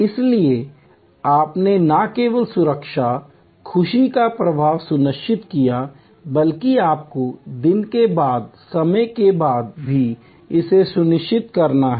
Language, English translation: Hindi, So, you have not only ensure security, safety, pleasure flow, but you have to also ensure it time after time day after day